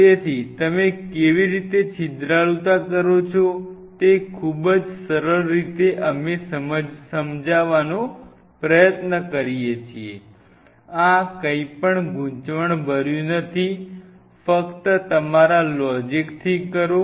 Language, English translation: Gujarati, So, how do you do porosity very simply we try to understand these things do not mug up anything, just put your goddamn logic in place